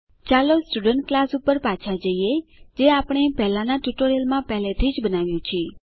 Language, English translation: Gujarati, Let us go back to the Student class which we have already created in the earlier tutorial